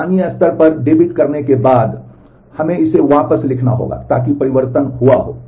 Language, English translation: Hindi, After having debited that locally we will have to write it back so that the change has happened